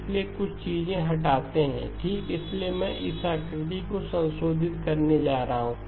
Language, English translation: Hindi, So delete a few things okay, so I am going to modify this figure